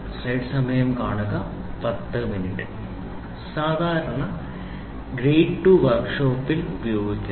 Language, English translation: Malayalam, Grade 2 is generally used in the workshop